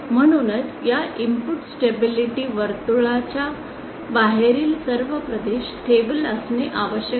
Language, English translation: Marathi, Hence all regions outside this input stability circle must be stable